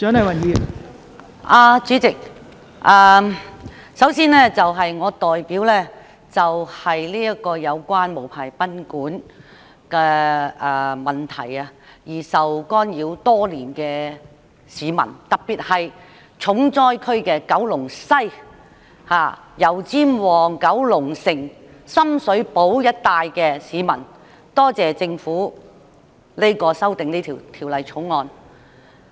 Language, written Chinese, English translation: Cantonese, 代理主席，首先，我代表因無牌賓館而受滋擾的市民，特別是重災區——九龍西、油尖旺、九龍城及深水埗一帶——的市民，多謝政府就《旅館業條例》提出修訂。, Deputy President first of all I wish to thank the Government on behalf of the people who suffer from the nuisance caused by unlicensed guesthouses particularly those living in the stricken districts―Kowloon West Yau Tsim Mong Kowloon City and Sham Shui Po―for proposing to amend the Hotel and Guesthouse Accommodation Ordinance